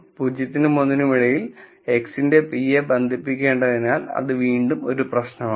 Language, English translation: Malayalam, That again is a problem because we need to bound p of x between 0 and 1